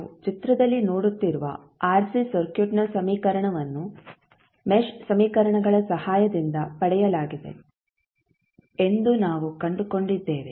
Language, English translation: Kannada, And we found that the equation for the RC circuit which we are seeing in the figure was was derived with the help of mesh equations